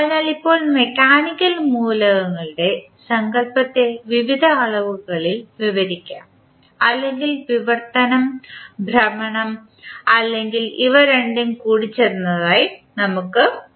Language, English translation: Malayalam, So, now the notion of mechanical elements can be described in various dimensions or we can say as translational, rotational or combination of both